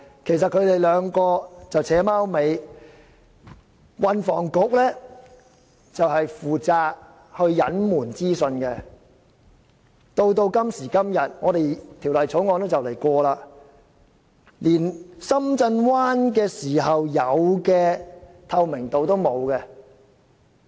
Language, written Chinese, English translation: Cantonese, 其實這兩個部門是在"扯貓尾"，運房局負責隱瞞資訊，到了今天，《廣深港高鐵條例草案》快要通過了，連當年處理深圳灣口岸時有的透明度也欠奉。, In fact the two departments have been acting in unison in this plot . The Transport and Housing Bureau is responsible for concealing the information . Now that when the Guangzhou - Shenzhen - Hong Kong Express Rail Link Co - location Bill the Bill is going to be passed soon there is not even the transparency as seen in the handling of the Shenzhen Bay Port back then